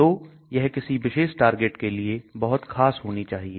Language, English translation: Hindi, So it should be very specific to one particular target